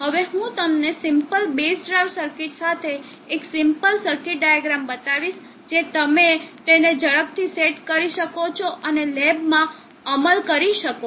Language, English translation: Gujarati, I will now show you a simple circuit diagram with the simple base drive circuit which you can quickly break it up and implement in the lab